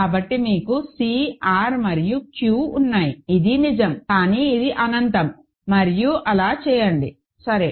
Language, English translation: Telugu, So, you have C, R and Q this is true, but this is infinity and do so is this, ok